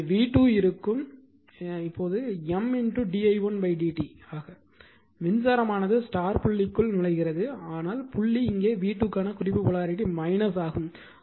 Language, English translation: Tamil, So, v 2 will be minus M into d i1 upon d t; this is that the current all though current is entering into the dot, but dot is here a reference polarity for v 2 that is minus